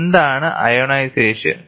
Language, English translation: Malayalam, What is ionization